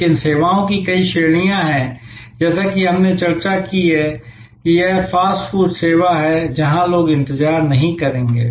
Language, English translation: Hindi, But, there are many categories of services as we discussed like this fast food service, where people will not wait